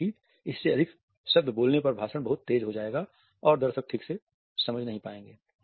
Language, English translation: Hindi, We speak more words than this then the speech would become too fast and the audience would not be able to comprehend properly